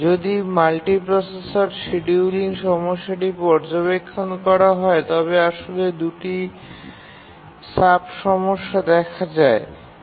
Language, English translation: Bengali, If we look at the multiprocessor scheduling problem, then there are actually two sub problems